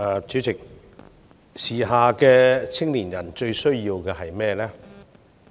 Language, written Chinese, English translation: Cantonese, 主席，時下青年人最需要的是甚麼？, President what do young people nowadays need most?